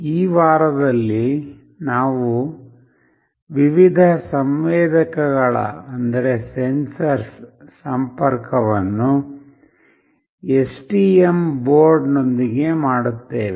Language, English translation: Kannada, In this week we will be interfacing various sensors with STM board